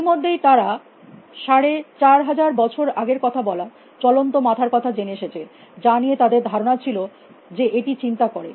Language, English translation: Bengali, Already for 4 500 years we looking at talking moving heads, which they think are thinking